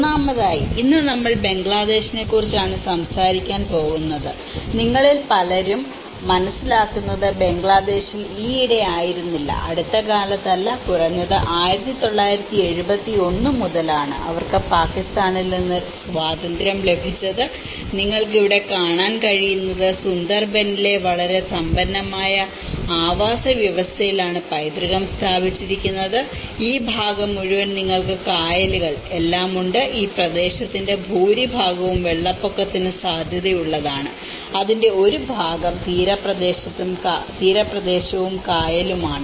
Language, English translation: Malayalam, First of all today, we are going to talk about the Bangladesh, and many of you understand that you know in Bangladesh has been recently, not recently but at least from 1971, they got the independence from Pakistan and what you can see here is a heritage laid in a very rich ecosystem of the Sundarbans, and this whole part is you have all these backwaters, and much of this area has been prone to the floods, and part of it is on to the coastal side and as well as the backwater areas